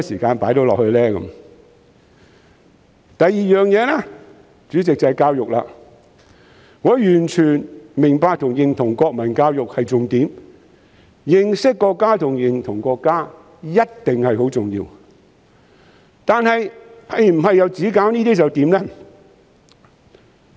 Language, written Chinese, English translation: Cantonese, 主席，另一方面是教育，我完全明白和認同國民教育是重點，認識和認同國家一定是很重要的，但是否只做這些就可以了？, President the other aspect is education . I totally understand and acknowledge that national education is pivotal and it is certainly important to know and identify with the country . But is it what we only need to do?